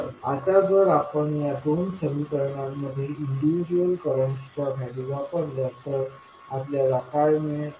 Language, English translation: Marathi, So now, if we put the values individual currents in these 2 equations, what we get